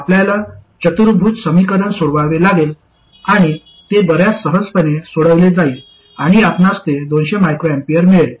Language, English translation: Marathi, You have to solve a quadratic equation and it comes out quite easily and you will see that that will be 200 microamperors